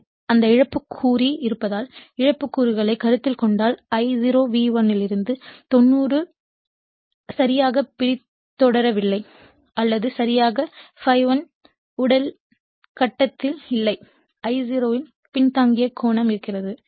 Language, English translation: Tamil, So, because of that some loss component will be there, if you consider the loss component then I0 actually is not exactly lagging 90 degree from V1 or not exactly is in phase with ∅ 1 there will be some lagging angle of I0